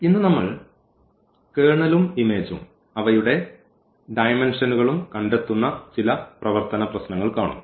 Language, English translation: Malayalam, And today, we will see some worked problems where we will find out the Kernel and the image and their dimensions